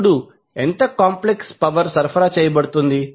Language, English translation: Telugu, Now, next is how much complex power is being supplied